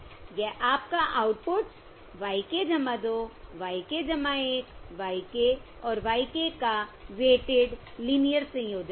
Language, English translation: Hindi, This is your weighted linear combination of the outputs y k plus 2, y k plus 1, y k and y k